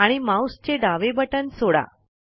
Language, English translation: Marathi, And release the left mouse button